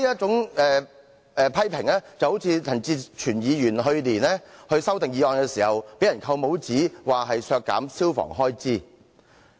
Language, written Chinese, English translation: Cantonese, 這些批評就像陳志全議員去年對條例草案提出修正案時被扣帽子一樣，被批評削減消防開支。, These criticisms are comparable to those levelled at Mr CHAN Chi - chuen as he was pinned a label for reducing expenses for fire service when he proposed an amendment to the Appropriation Bill last year